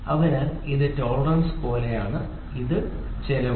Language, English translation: Malayalam, So, let it is like this tolerance this is cost